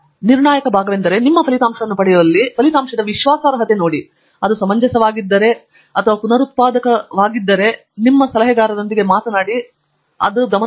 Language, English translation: Kannada, So, the critical part is that where you get your result, look at the credibility of the result and ask if it is, if it make sense, if it is reproducible and then of course, talk to your advisor to find out if it is significant